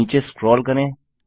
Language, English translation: Hindi, Lets scroll down